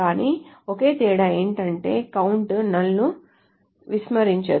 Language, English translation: Telugu, But the only difference is the count star does not ignore null